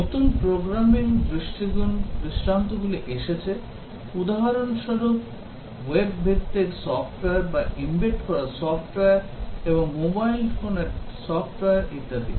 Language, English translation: Bengali, New programming paradigms have come up for example, web based software or may be embedded software and software running on mobile phones and so on